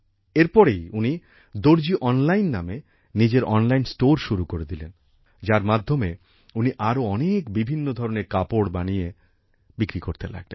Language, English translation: Bengali, After this he started his online store named 'Darzi Online' in which he started selling stitched clothes of many other kinds